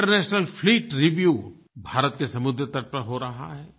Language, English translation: Hindi, International Fleet Review is happening on the coastal region of India